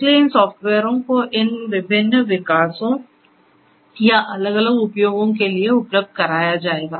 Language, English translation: Hindi, So, these software will be made available for these different development and or different use